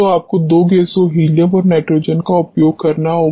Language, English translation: Hindi, So, you have to use two gases helium and nitrogen